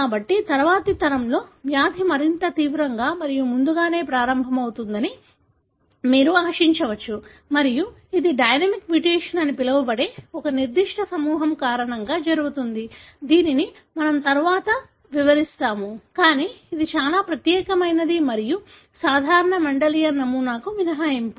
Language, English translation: Telugu, So, you can expect in the next generation the disease to become more severe and earlier onset and this happens because of one particular group of mutation called ‘dynamic mutation’, which we will be describing later, but this is something very, very unique and exception to a typical Mendelian pattern